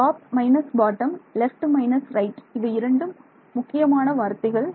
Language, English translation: Tamil, So, top minus bottom left minus right these are the keywords alright